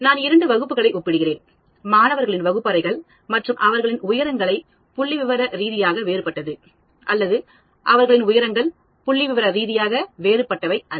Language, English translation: Tamil, I am comparing two classes classrooms of students and then I would say their heights are statistically different; or no, their heights are not statistically different